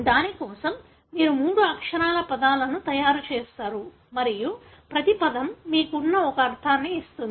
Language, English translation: Telugu, For that you make three letter words and each word gives you a meaning